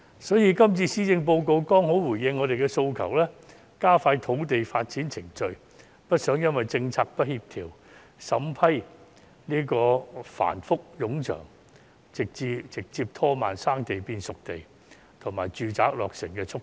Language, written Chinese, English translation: Cantonese, 所以，今次施政報告剛好回應了我們的訴求，加快土地發展程序，我們不希望因政策不協調、審批繁複冗長而直接拖慢"生地"變"熟地"及住宅落成的速度。, This Policy Address has precisely responded to our demand by expediting the land development process . We do not want uncoordinated policies and tedious approval procedures to slow down the development of potential sites into disposable sites and completion of residential housing